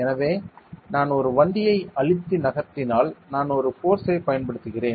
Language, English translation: Tamil, So, if I am moving a cart by pushing it, I am applying a force right